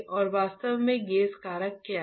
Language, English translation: Hindi, And what exactly gauge factor is